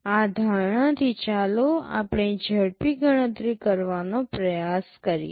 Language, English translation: Gujarati, With this assumption let us try to make a quick calculation